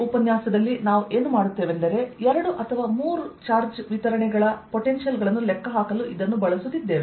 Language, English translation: Kannada, what we will do in this lecture is use this to calculate potentials for a two or three charge distributions